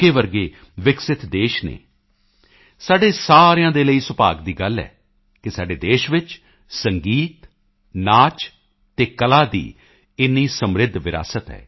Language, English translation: Punjabi, It is a matter of fortune for all of us that our country has such a rich heritage of Music, Dance and Art